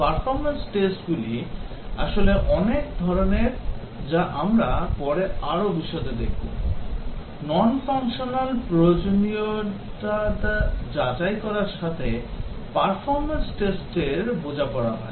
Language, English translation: Bengali, The Performance tests are actually many types as we will see later in more detail; the performance test deal with checking the non functional requirement